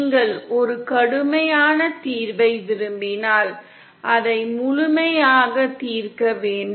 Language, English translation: Tamil, If you want a rigorous solution then you have to solve it completely